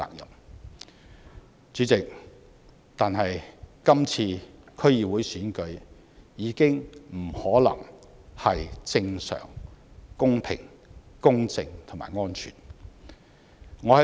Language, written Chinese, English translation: Cantonese, 但是，主席，今次的區議會選舉已經不可能是正常、公平、公正及安全的。, However President it is no longer possible for this DC Election to be held in a normal fair just and safe manner